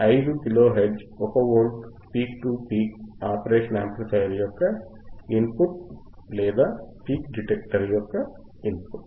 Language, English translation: Telugu, 5 kilo hertz, 1 volt peak to peak to the 5 kilo hertz, 1 volt peak to peak to the i to the input of the operational amplifier or input of the peak detector um